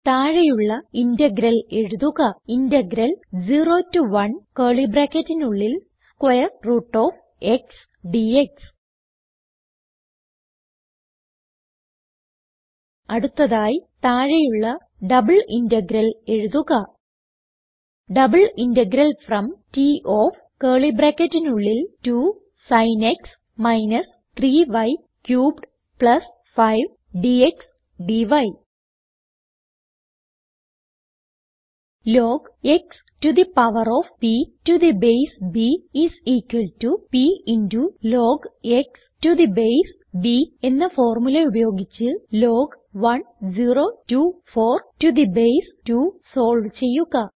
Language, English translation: Malayalam, Next, write a double integral as follows: Double integral from T of { 2 Sin x – 3 y cubed + 5 } dx dy And using the formula: log x to the power of p to the base b is equal to p into log x to the base b solve log 1024 to the base 2 Format your formulae